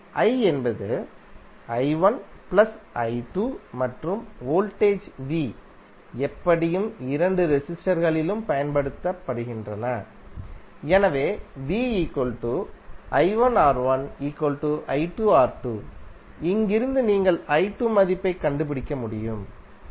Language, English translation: Tamil, So now you know that i is nothing but i1 plus i2 and voltage V is anyway applied across both of the resistors, so V is nothing but i1, R1 or i2 R2, right